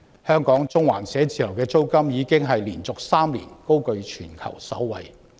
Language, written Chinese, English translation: Cantonese, 香港中環寫字樓的租金已連續3年高踞全球首位。, The rentals of offices in Central Hong Kong have topped the world in three consecutive years